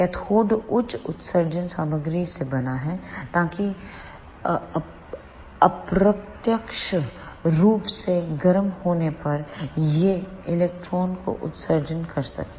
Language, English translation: Hindi, The cathode is made up of high emission material, so that it can emit electrons when it is heated indirectly